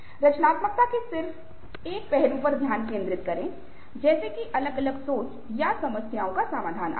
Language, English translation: Hindi, others may, others may, focus in just one aspect of creativity: like creativity, like divergent thinking, or problems have resolving, and so on